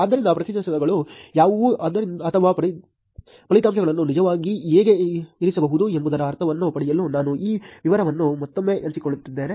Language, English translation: Kannada, So, again this I am sharing this detail for you to get sense of what the results are or how to actually place the results